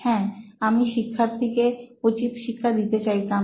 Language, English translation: Bengali, Yes, I wanted to give the student a hard time